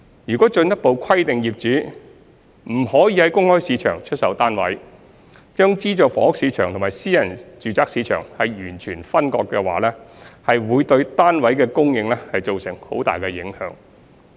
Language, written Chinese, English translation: Cantonese, 若進一步規定業主不得在公開市場出售單位，將資助房屋市場和私人住宅市場完全分割，會對單位的供應造成很大的影響。, If we impose further restrictions to prohibit sale in the open market and segregate the markets of SSFs and private residential flats completely the supply of SSFs will be adversely affected